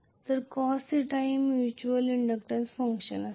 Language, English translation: Marathi, So this is going to be the mutual inductance function